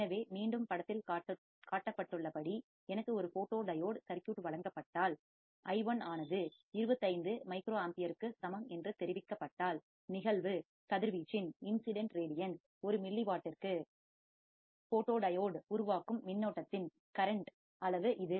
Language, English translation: Tamil, So, again if I am given a photodiode circuit as shown in figure, and if I am told that i1 equals to 25 microampere that is the amount of current that the photodiode generates per milliwatt of incident radiation